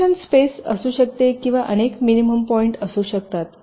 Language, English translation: Marathi, there can be a solution space or there can be multiple minimum points